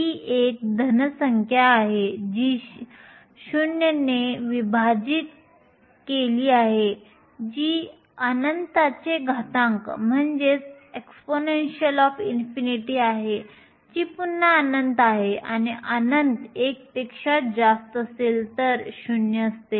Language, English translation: Marathi, So, this is a positive number divided by 0 which is the exponential of infinity which is again infinity and 1 over infinity is 0